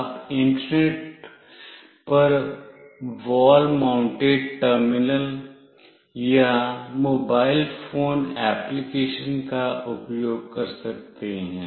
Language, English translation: Hindi, You can use a wall mounted terminal or a mobile phone application, over the Internet